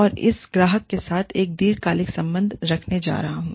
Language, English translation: Hindi, I am going to have, a long term relationship with this customer